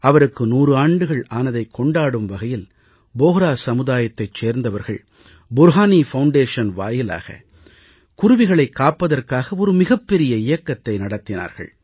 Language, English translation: Tamil, As part of the celebration of his 100th year the Bohra community society had launched a huge campaign to save the sparrow under the aegis of Burhani Foundation